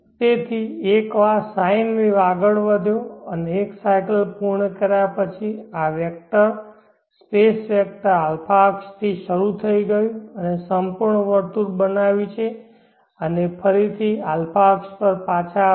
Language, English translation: Gujarati, So once the sine wave has progressed and completed 1 complete cycle this vector the space vector has started from the a axis and made a complete circle and come back to the